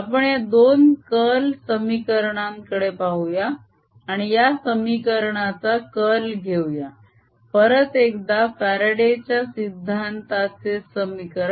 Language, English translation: Marathi, let us look at the two curl equations and take the curl of this equation, the faradays law equation